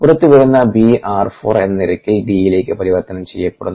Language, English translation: Malayalam, b gets converted to d at the rate of four, which comes outside